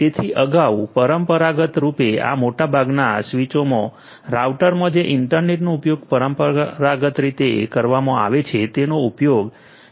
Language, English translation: Gujarati, So, earlier traditionally in most of these switches, routers that are used in the internet conventionally used to have everything together